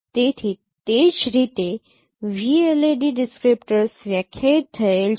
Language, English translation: Gujarati, So that is how the VLART descriptors is defined